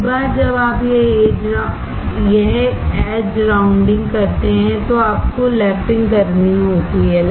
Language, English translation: Hindi, Once you do this edge rounding, you have to do lapping